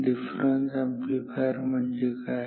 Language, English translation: Marathi, What is a difference amplifier